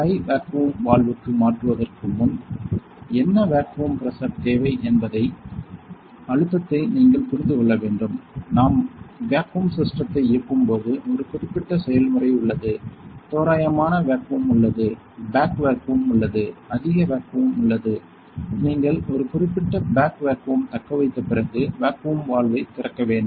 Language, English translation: Tamil, What vacuum pressure you need to understand before you change it to the high vacuum valve; there is a certain procedure when we operate vacuum system there is a rough vacuum, there is a back vacuum, there is a high vacuum that you need to open a vacuum valve after you retain a certain back vacuum